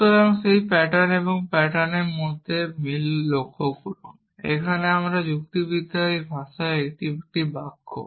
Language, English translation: Bengali, So, notice the similarity between that pattern and this pattern here this is one sentence one sentence in my language of logic